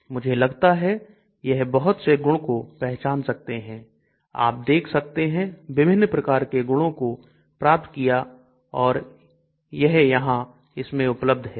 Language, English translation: Hindi, I think they predict lot of properties you can see different types of properties are being predicted and they are all given in this